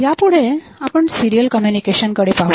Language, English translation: Marathi, So, next we look into the serial communication